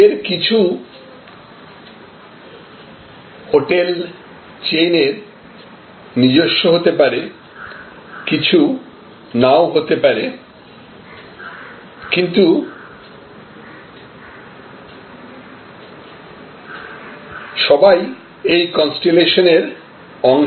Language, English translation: Bengali, Some of them may be owned by this hotel chain and many of them may not be owned by this hotel chain, but they will be part of this constellation